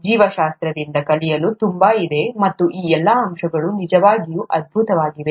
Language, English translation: Kannada, There’s so much to learn from biology and all these aspects are really wonderful